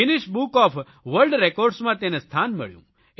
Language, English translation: Gujarati, This deed found a mention in Guinness Book of World Records